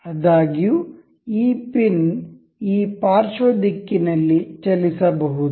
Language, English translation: Kannada, However, this can move in the lateral direction